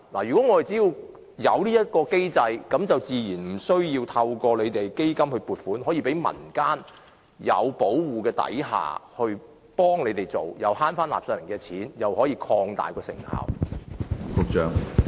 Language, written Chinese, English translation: Cantonese, 如果我們自行設立機制，民間團體自然無需透過基金撥款，便可在受保護的情況下捐贈食物，既節省納稅人的錢，又可以擴大成效。, If we establish a mechanism under which community groups can without having to rely on funding from ECF donate food under a protected regime we will not only save taxpayers money but also achieve far greater effectiveness